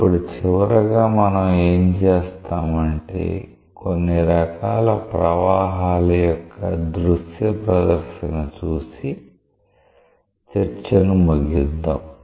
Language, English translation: Telugu, Now, what we will do finally, we will look into some visual demonstration of certain types of flows and end up the discussion today